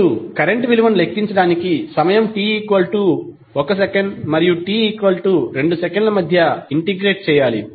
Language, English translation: Telugu, You have to just simply integrate the current value between time t=1 to t=2